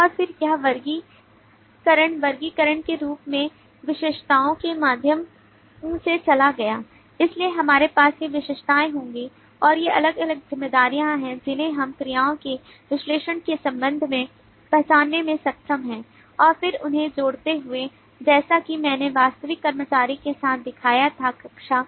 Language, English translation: Hindi, and then it went through the process of categorization, classification as attributes so we will have these attribute and these are the different responsibilities that we are being able to identify in terms of the analysis of verbs and then associating them as i showed with the actual employee class